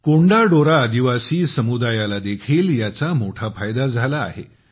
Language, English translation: Marathi, The Konda Dora tribal community has also benefited a lot from this